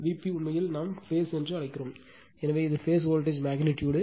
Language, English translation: Tamil, V p p actually suppose we call phase, so it is phase voltage magnitude